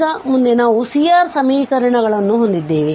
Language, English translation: Kannada, So, now next so we have the C R equations